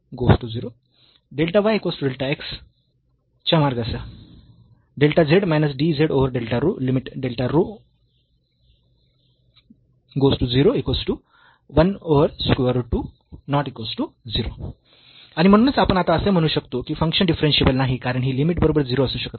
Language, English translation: Marathi, And hence, we can now say that the function is not differentiable because this limit cannot be equal to 0